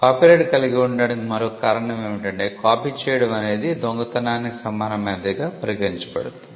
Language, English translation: Telugu, Another rationale for having copyright is that copying is treated as an equivalent of theft